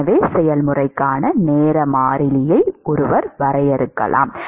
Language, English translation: Tamil, So, one can define time constant for the process